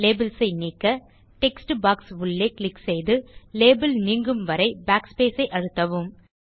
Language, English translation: Tamil, To delete the labels, click inside the text box and press backspace till the label is deleted